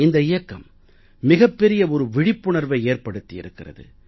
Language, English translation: Tamil, This campaign has worked in a major way to generate awareness